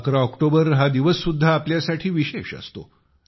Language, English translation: Marathi, 11th of October is also a special day for us